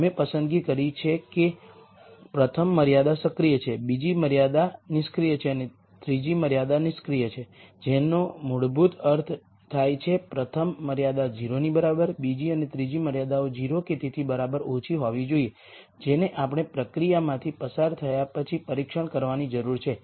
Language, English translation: Gujarati, So, if you look at row 5, we have made a choice that the rst constraint is active, the second constraint is inactive and the third constraint is inactive, that basically means the first constraint is equal to 0, the second and third constraints have to be less than equal to 0, which needs to be tested after we go through the solution process